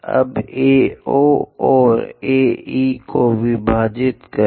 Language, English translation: Hindi, Now, divide AO and AE